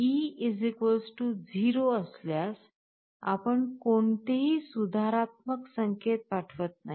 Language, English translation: Marathi, So, if e = 0, then you are not sending any corrective signal